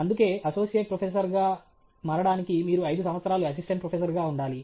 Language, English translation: Telugu, That’s why they say to become Associate Professor you have to Assistant Professor for 5 years